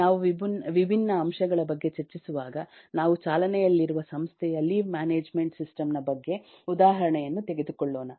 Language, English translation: Kannada, so while we discuss about different points, we will take glimpses from one running example about a leave management system of an organization